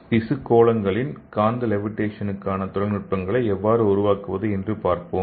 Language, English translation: Tamil, And let us see how we can make some technologies for magnetic levitation of tissue spheroids